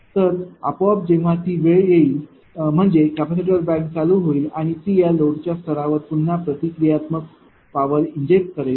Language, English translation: Marathi, So, automatically when that time will come that is capacitor bank will be ah your switched on and it will again inject reactive power at that load level